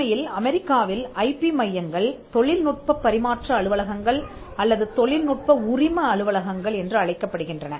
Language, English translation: Tamil, In fact, in the United States the IP centers are called technology transfer offices or technology licensing offices